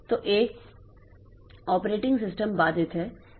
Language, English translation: Hindi, So, an operating system is interrupt driven